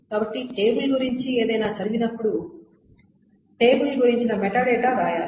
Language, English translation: Telugu, So whenever anything about the table is read, the metadata about the table needs to be written